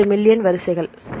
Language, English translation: Tamil, 78 million sequences right